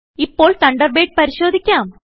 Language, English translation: Malayalam, Lets check Thunderbird now